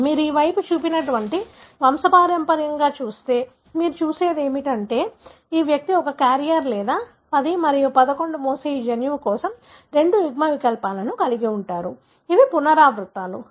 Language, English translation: Telugu, So, if you look into a pedigree that is shown on this side, what you see is that this individual is a carrier or carries two alleles for this gene carrying 10 and 11, these are the repeats